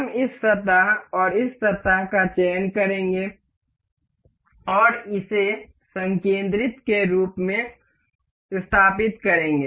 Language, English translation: Hindi, We will select this surface and this surface, and will mate it up as concentric